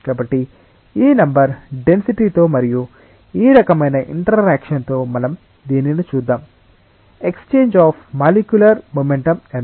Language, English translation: Telugu, So, with this number density and with this type of interaction let us see that: what is the extent of exchange of molecular momentum